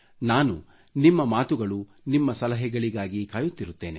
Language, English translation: Kannada, I will wait for your say and your suggestions